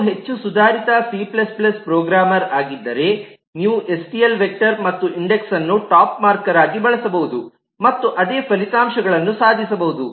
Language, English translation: Kannada, if you are more advanced c plus plus programmer, you could use a stl vector and an index as a top marker and achieve the some same results